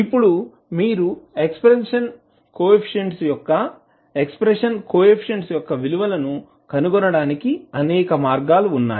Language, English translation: Telugu, Now, there are many ways through which you can find these values of expansion coefficients